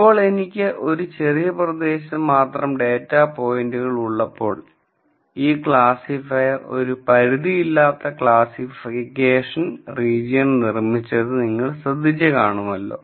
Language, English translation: Malayalam, Now, you noticed that while I have data points only in a small region this classifier has derived and unbounded classification region